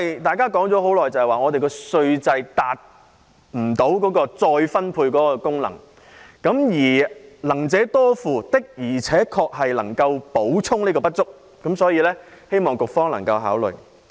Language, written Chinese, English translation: Cantonese, 大家都說現時稅制未能發揮再分配的功能，而"能者多付"的確能夠填補不足，所以，希望局方能夠考慮。, We all have the view that the existing tax system fails to perform its redistribution function and the principle of earn more pay more can indeed make up for the shortfall . Hence I hope the Bureau will consider this proposal